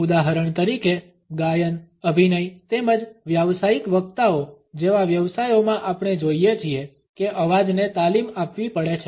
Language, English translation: Gujarati, For example in professions like singing acting as well as for professional speakers we find that the voice has to be trained